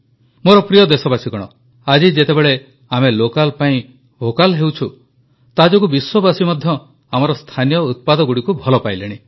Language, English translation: Odia, Today when we are going vocal for local, the whole world are also becoming a fan of our local products